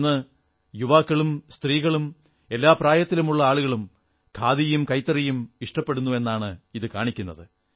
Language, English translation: Malayalam, One can clearly see that today, the youth, the elderly, women, in fact every age group is taking to Khadi & handloom